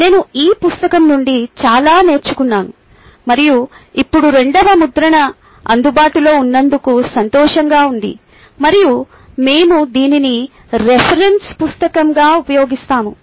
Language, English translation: Telugu, i learnt a lot from this book and ah glad that there is a second addition is available now and i would use this